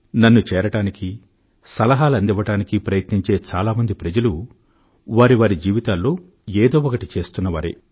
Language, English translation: Telugu, Most of those who give suggestions or try to reach to me are those who are really doing something in their lives